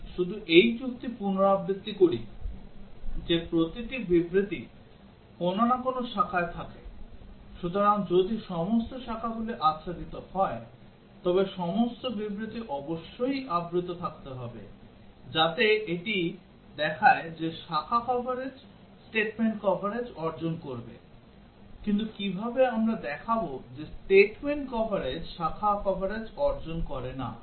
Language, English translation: Bengali, Let me just repeat this argument that every statement lies on some branch, so if all branches are covered then all statements must have been covered, so that shows that branch coverage would achieve statement coverage, but how do we show that statement coverage does not achieve branch coverage